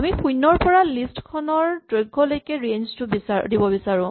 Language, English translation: Assamese, We would like to range from 0 to the length of the list